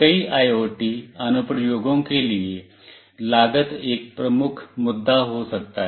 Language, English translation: Hindi, For many IoT application, the cost can be a major issue